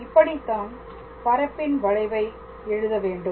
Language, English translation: Tamil, So, that is how we write this curve in space all right